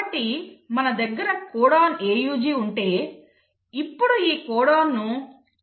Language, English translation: Telugu, So if you have, let us say a codon AUG; now this codon has to be read by the anticodon